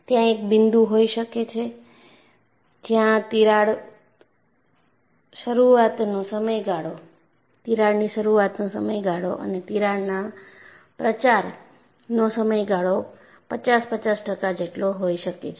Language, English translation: Gujarati, So, there could be a point where crack initiation period and crack propagation period may be fifty fifty